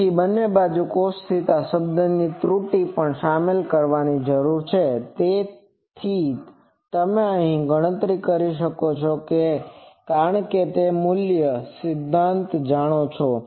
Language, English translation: Gujarati, So, error from both side cos theta term also needs to be incorporated so, you can always calculate that because you know the basic principles